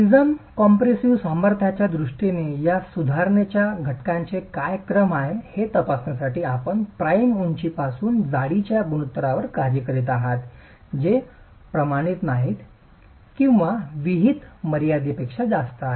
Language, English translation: Marathi, Just to examine what is the order of these correction factors that codes talk of in terms of the prism compressive strength in case you are working with prisms height to thickness ratios which are non standard or beyond the prescribed limits